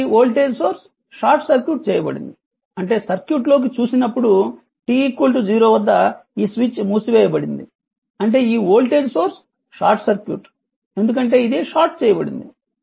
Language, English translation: Telugu, So, that the voltage source is short circuited; that means, as soon as your if you look into the circuit when if you look into the circuit at t is equal to 0 this switch is closed; that means, this voltage is this voltage source is short circuited because this is short right